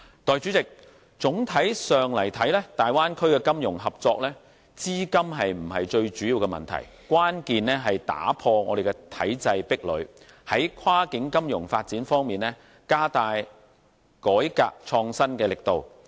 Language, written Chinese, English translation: Cantonese, 代理主席，總體上來看，大灣區的金融合作，資金並非最主要的問題，關鍵在打破體制壁壘，在跨境金融發展方面加大改革創新力度。, Deputy President on the whole capital will not be an issue in the financial cooperation of the Bay Area . The most important issue is breaking the barriers of the systems and stepping up reform on cross - bounder financial development